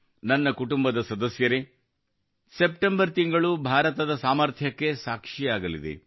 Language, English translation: Kannada, My family members, the month of September is going to be witness to the potential of India